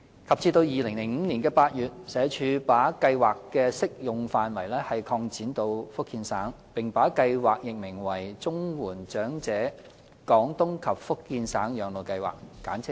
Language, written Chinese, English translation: Cantonese, 及至2005年8月，社署把計劃的適用範圍擴展至福建省，並把計劃易名為"綜援長者廣東及福建省養老計劃"。, Since August 2005 the scope of the PCSSA Scheme has been extended to cover the Fujian Province with a corresponding change of its name in Chinese